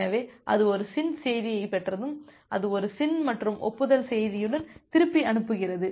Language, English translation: Tamil, So, once it receives a SYN message it sends back with a SYN plus acknowledgment message